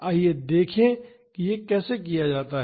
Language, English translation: Hindi, Let us see how it is done